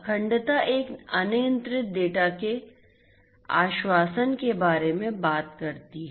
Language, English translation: Hindi, Integrity talks about assurance of an uncorrupted data